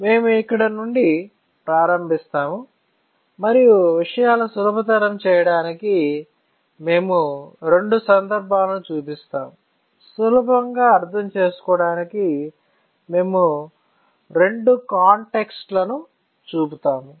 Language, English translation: Telugu, So, we will start from here and to make things easier, we will just show two contexts all right, just to make it easier we will just show two contexts